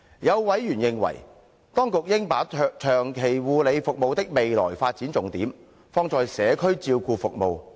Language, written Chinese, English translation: Cantonese, 有委員認為，當局應把長期護理服務的未來發展重點，放在社區照顧服務。, Some members considered that the Administration should put emphasis on community care services for the elderly in terms of future development of long term care services